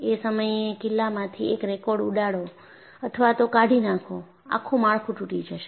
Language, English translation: Gujarati, You just go and blow or remove one card, the whole structure will collapse